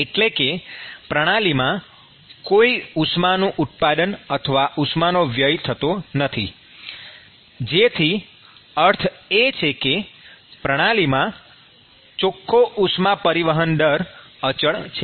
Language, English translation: Gujarati, There is no heat generation or heat loss from the system which means that the net heat transfer rate from the system is constant